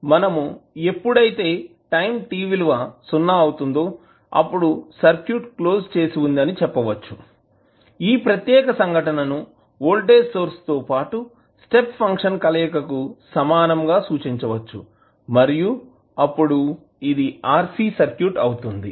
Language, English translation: Telugu, We said that when a particular time t is equal to 0 the circuit is closed then this particular phenomenon can be equivalently represented as a voltage source with 1 step function combined and then the RC circuit